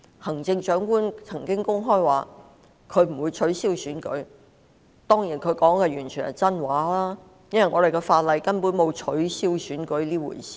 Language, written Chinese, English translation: Cantonese, 行政長官曾公開表示不會取消區議會選舉，當然她說的完全是真話，因為香港的法例根本沒有取消選舉這回事。, The Chief Executive has stated publicly that the DC Election will not be cancelled and she was of course telling the truth because there is no such thing as cancellation of an election under the laws of Hong Kong